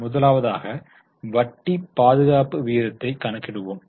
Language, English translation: Tamil, The first one is interest coverage ratio